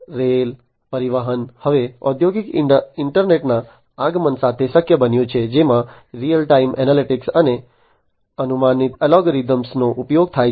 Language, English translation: Gujarati, Rail transportation it is now possible with the advent of the industrial internet to have real time analytics and application of predictive algorithms